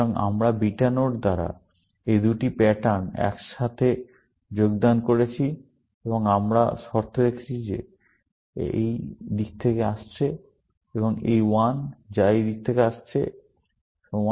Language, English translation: Bengali, So, we joined together, these two patterns by a beta node, and we put a condition that this t, which is coming from this side, and this t, which is coming from this side, equal to